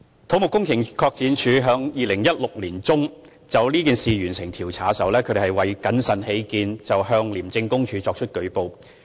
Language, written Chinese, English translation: Cantonese, 土木工程拓展署在2016年年中就此事完成調查，為謹慎起見，當時向廉署作出舉報。, When CEDD completed the investigation on this incident in mid - 2016 it reported to ICAC for cautions sake